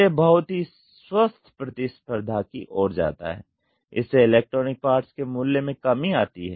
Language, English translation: Hindi, So, this leads to heavy healthy competition, this leads to a price reduction in electronic parts